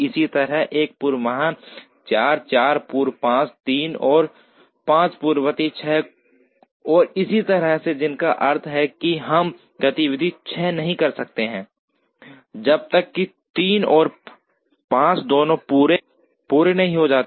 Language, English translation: Hindi, Similarly, 1 precedes 4, 4 precedes 5, 3 and 5 precede 6 and so on, which means we cannot do activity 6 unless both 3 and 5 are completed